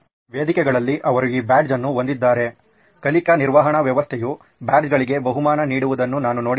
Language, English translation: Kannada, In forums they have this badge, also in learning management system also I have seen badges being rewarded